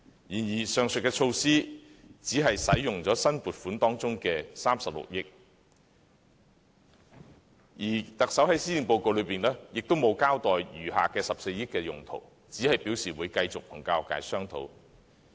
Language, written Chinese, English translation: Cantonese, 然而，上述措施只運用了新撥款中的36億元，而特首在施政報告中，也沒有交代餘下14億元的用途，只是表示會繼續與教育界商討。, However the aforementioned measures will only spend 3.6 billion of the new funding . The Chief Executive has not told us of the use of the remaining 1.4 billion in the Policy Address other than saying that she will continue to discuss with the education sector . As a matter of fact a multitude of problems in education is still awaiting solutions